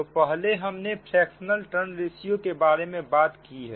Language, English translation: Hindi, so earlier we have given the term that fractional tons ratio